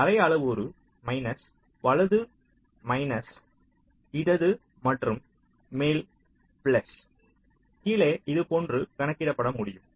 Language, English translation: Tamil, so your half parameter can be calculated like this: right minus left plus top minus bottom, so timing constraints